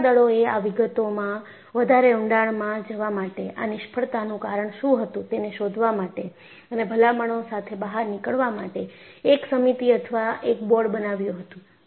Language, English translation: Gujarati, In fact, the navy formulated a committee, a board, to go into the details and find out what really caused such failures, and come out with recommendations